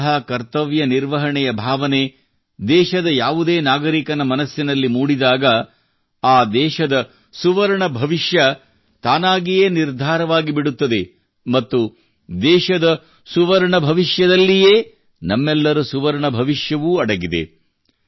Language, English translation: Kannada, When such a sense of duty rises within the citizens of a nation, its golden future is automatically ensured, and, in the golden future of the country itself, also lies for all of us, a golden future